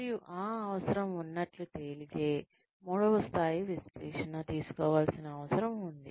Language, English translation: Telugu, And, if that need is found to be there, then the third level of analysis, needs to be taken up